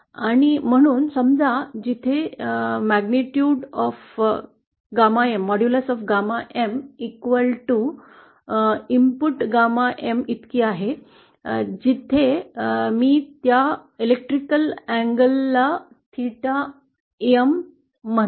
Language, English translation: Marathi, And so suppose this point, where the this value of frequency for which the input the gamma N modulus is equal to gamma M, I call that electrical angle theta M